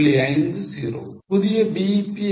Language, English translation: Tamil, What is a new BEP